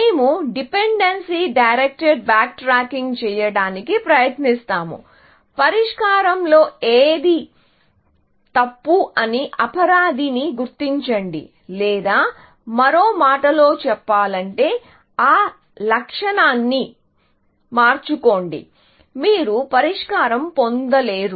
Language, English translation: Telugu, What we try to do is dependency directed backtracking, is to identify the culprit of what is wrong with the solution, or in other words, without changing that attribute, you are not going to get the solution